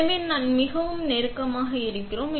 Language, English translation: Tamil, So, we are pretty close to that